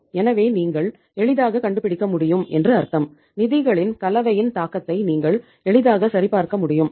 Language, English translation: Tamil, So it means you can easily find out, you can easily verify the impact of the say composition of the funds